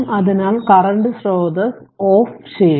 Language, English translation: Malayalam, So, current source it should be turned off